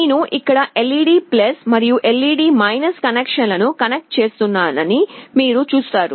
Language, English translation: Telugu, You see here I am connecting the LED+ and LED connections